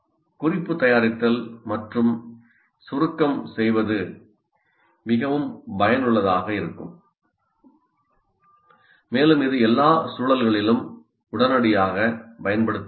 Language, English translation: Tamil, So note making and summarization is quite effective and it can be readily used in all contexts